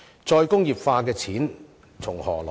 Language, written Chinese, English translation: Cantonese, "再工業化"的錢從何來？, Where does the money for re - industrialization come from?